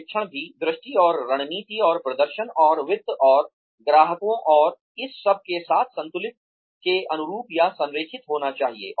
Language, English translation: Hindi, Training is also, supposed to be in line with, or aligned with the balanced, with the vision and strategy, and performance, and finances, and customers, and all of this